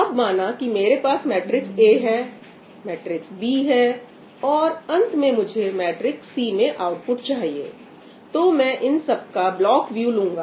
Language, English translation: Hindi, So, now, suppose that this is my matrix A, this is my matrix B, and finally, I need the output in matrix C